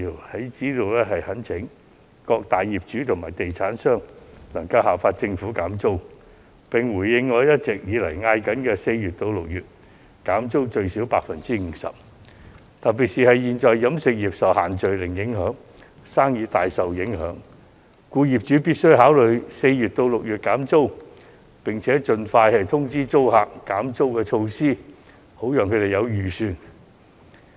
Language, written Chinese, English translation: Cantonese, 我在此懇請各大業主及地產商效法政府減租，並響應我長久以來的建議，在4月至6月最少減租 50%， 特別是飲食業現時因"限聚令"而生意大受影響，業主必須考慮4月至6月減租，並且盡快通知租客其減租措施，好讓他們有所預算。, I implore all landlords and developers to follow suit and offer at least 50 % of rental concessions in the period between April and June as I have suggested for a long time . In particular as the catering industry is now hard hit by the group gathering ban landlords must consider cutting rents between April and June and inform tenants as soon as possible of their decision to cut rent so as to facilitate business operation of their tenants